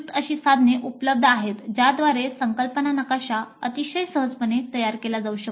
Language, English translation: Marathi, There are tools available by which the concept map can be constructed very easily open source tools